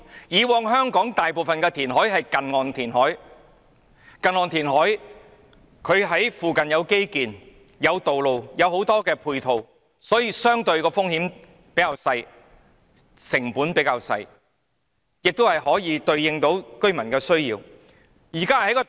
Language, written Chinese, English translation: Cantonese, 以往香港大部分的填海工程也是近岸填海，在附近有基建、道路和很多配套設施，因此，風險和成本相對較低，也可以回應居民的需要。, In the past most of the reclamation projects in Hong Kong were conducted near - shore so the infrastructure roads and a lot of complementary facilities can already be found nearby the risks and costs were relatively speaking low and residents needs could also be met